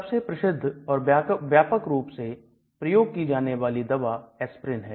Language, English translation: Hindi, The most well known widely used drug is aspirin